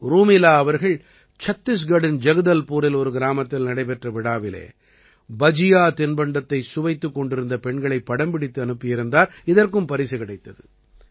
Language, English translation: Tamil, Rumelaji had sent a photo of women tasting Bhajiya in a village fair in Jagdalpur, Chhattisgarh that was also awarded